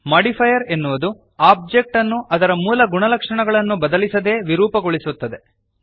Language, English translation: Kannada, A Modifier deforms the object without changing its original properties